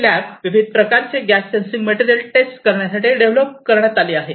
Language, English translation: Marathi, In fact, the lab was developed to test a variety of gas sensing materials